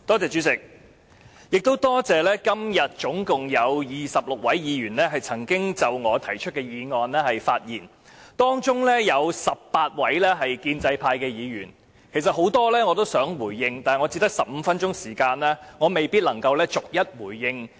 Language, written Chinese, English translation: Cantonese, 主席，多謝今天總共有26位議員曾經就我提出的議案發言，當中有18位建制派議員，其實我想就其中多位議員的發言回應，但我只有15分鐘時間，未必能夠逐一回應。, President I am grateful that 26 Members in total have spoken on the motion proposed by me today . Eighteen of them are Members of the pro - establishment camp . Actually I wish to respond to a number of their speeches but since I have only 15 minutes I may not be able to respond to them one by one